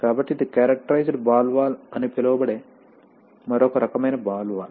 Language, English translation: Telugu, So these are, this is another kind of ball valve called the characterized ball valve